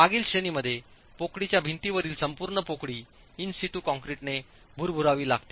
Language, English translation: Marathi, In the previous category the cavity wall, the entire cavity has to be grouted with concrete in situ